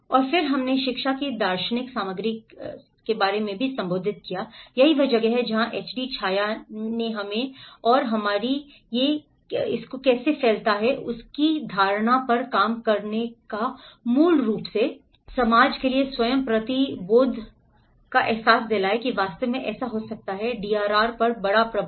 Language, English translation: Hindi, And then, we also addressed about the philosophical content of the education, that is where the HD CHAYYA work on the how the notion of I, we, and our and how it expands from the very essence of I and that is very a realization to the self to the society and that can actually have a major impact on the DRR